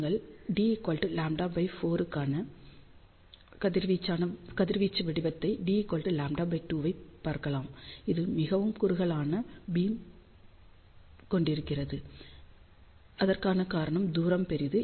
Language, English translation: Tamil, So, you can see the radiation pattern for d equal to lambda by 4 and for d equal to lambda by 2, you can see that this has a much narrower beam the reason for that is the distance is larger